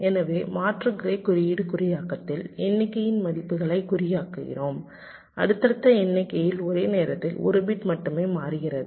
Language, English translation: Tamil, ok, so in the alternate grey code encoding we are encoding the count values in such a way that across successive counts, only one bit is changing at a time